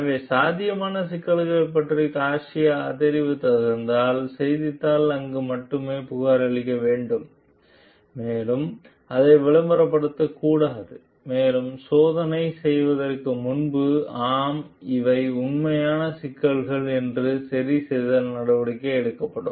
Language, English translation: Tamil, So, if Garcia has reported about the potential problem the newspaper should report till there only, and like should not have hyped it to, so much before further testing is done to make a conclusion like, yes these are actual problems and corrective actions are to be taken